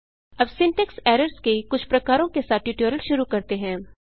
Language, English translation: Hindi, Lets begin the tutorial with some types of syntax errors